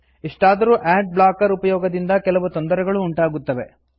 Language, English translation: Kannada, However, using ad blockers have some negative consequences